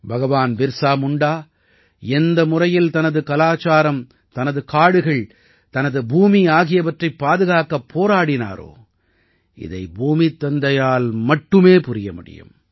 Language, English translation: Tamil, The way Bhagwan Birsa Munda fought to protect his culture, his forest, his land, it could have only been done by 'Dharti Aaba'